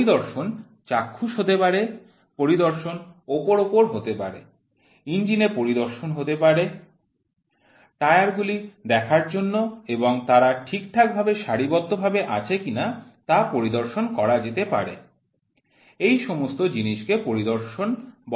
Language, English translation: Bengali, The inspection can be visual, the inspection can be superficial, the inspection can be on the engine, the inspection can be for checking the tires, their alignment all these things are called as inspection